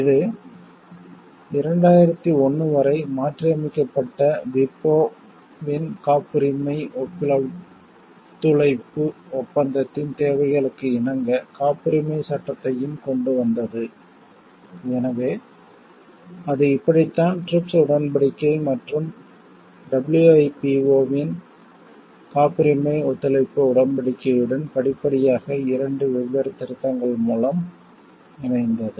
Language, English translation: Tamil, It also brought the Patents Act in conformity with the requirements of the Patent Cooperation Treaty of WIPO as modified until 2001; so, how it got aligned with the TRIPS agreement and with the Patent Cooperation Treaty of WIPO, gradually by two different amendments